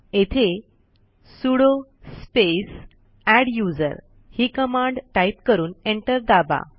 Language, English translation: Marathi, Here type the command sudo space adduser and press Enter